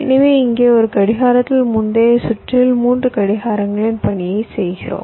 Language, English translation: Tamil, so here in one clock we are doing the task of three clocks in the previous circuit